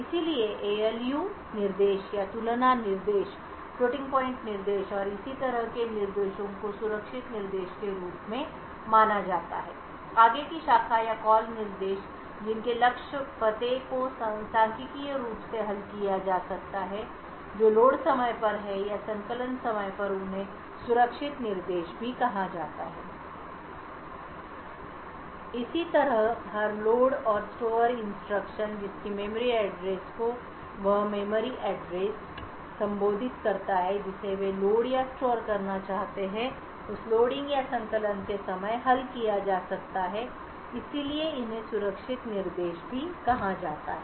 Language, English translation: Hindi, So instructions such as the ALU instructions or comparison instructions, floating point instructions and so on are considered as safe instructions further branch or call instructions whose target addresses can be resolved statically that is at load time or at compile time they are also called safe instructions similarly every load and store instruction whose memory address the memory address which they want to load or store can be resolved at the time of loading or compiling so these are also called as safe instructions